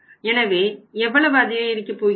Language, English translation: Tamil, So how much increase we are going to have here